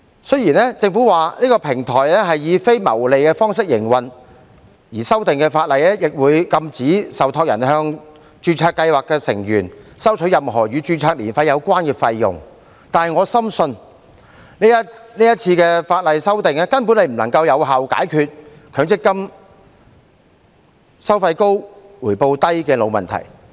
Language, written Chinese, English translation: Cantonese, 雖然政府表示中央平台是以非牟利的方式營運，而修訂後的法例亦會禁止受託人向註冊計劃的成員收取任何與註冊年費有關的費用，但我深信這次法例的修訂根本不能有效解決強制性公積金計劃收費高、回報低的"老問題"。, Even though the Government says that the centralized platform will be operated in a non - profit making manner and the amended Ordinance will also prohibit any trustee from charging any fee in relation to the annual registration fee from members of registered schemes I deeply believe that this amendment to the Ordinance can basically not resolve the old problem of high administrative fees and low return of Mandatory Provident Fund MPF schemes